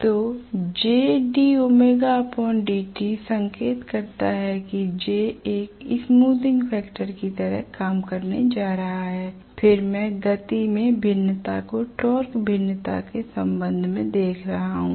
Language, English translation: Hindi, So j d omega by dt indicates that j is going to act like a smoothening factor then I am looking at the variations in the speed with respect to the torque variations right